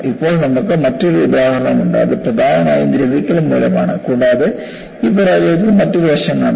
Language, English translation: Malayalam, And now, you have another example, which is predominantly corrosion and also, another aspect is seen in this failure